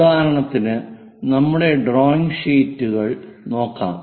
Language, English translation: Malayalam, For example, let us look at our drawing sheets